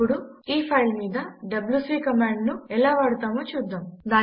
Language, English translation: Telugu, Now let us use the wc command on this file